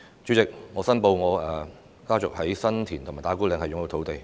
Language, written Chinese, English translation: Cantonese, 主席，我申報我家族在新田及打鼓嶺擁有土地。, President I declare that my family owns land in San Tin and Ta Kwu Ling